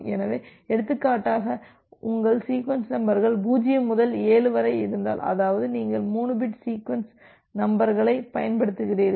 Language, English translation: Tamil, So, for example, if your sequence numbers are some 0 to 7; that means, you are using a 3 bit sequence numbers